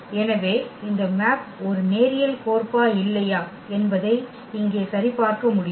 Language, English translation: Tamil, So, whether this map is a linear map or not we can verify this